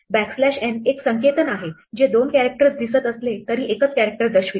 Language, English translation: Marathi, The backslash n is a notation which denotes a single character even though looks two characters